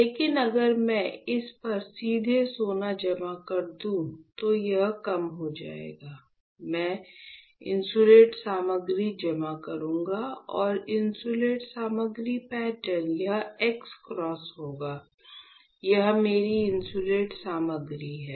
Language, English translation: Hindi, But if I deposit gold directly on this then it will get short; that is why the next step would be, I will deposit insulating material and this insulating material the pattern would be this x cross ok, this is my insulating material